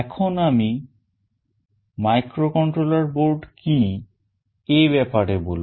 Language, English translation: Bengali, Let me talk about what is a microcontroller board